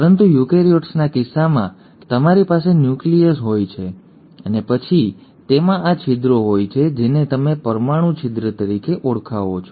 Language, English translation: Gujarati, But in case of eukaryotes you have a nucleus, and then it has these openings which you call as the nuclear pore